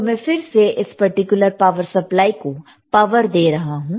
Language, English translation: Hindi, So, again I am giving a power to this particular DC power supply, and I given it to here